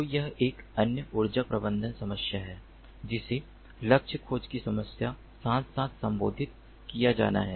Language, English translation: Hindi, so this is another energy management problem that also has to be addressed alongside the problem of target tracking